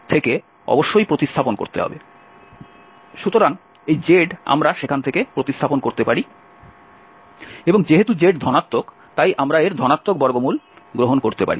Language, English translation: Bengali, So, this z we can replace from there and z is positive so we can take the positive square root of this